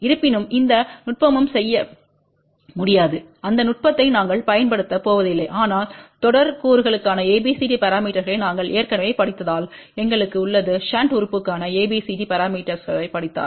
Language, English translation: Tamil, However, we are not going to use that technique that can be done there is no problem at all, but since we have already studied ABCD parameters for series elements we have also studied ABCD parameters for shunt element